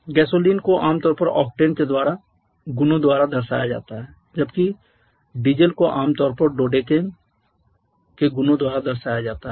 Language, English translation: Hindi, Gasoline is commonly represented by the properties of octane whereas diesel is commonly represented by the properties of dodecane